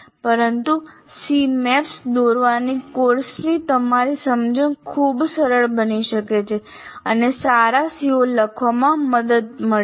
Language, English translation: Gujarati, But drawing C Maps can greatly facilitate your understanding of the course and in writing good COs